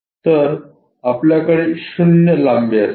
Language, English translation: Marathi, So, we will have that 0 length